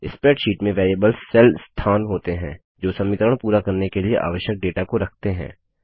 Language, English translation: Hindi, In a spreadsheet, the variables are cell locations that hold the data needed for the equation to be completed